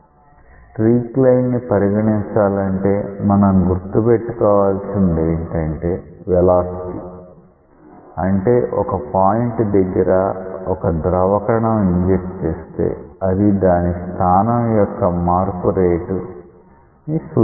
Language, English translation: Telugu, To consider the streak line you have to remember one thing that this is the velocity; that means, if a fluid particle is injected at a point it will also represent its rate of change of position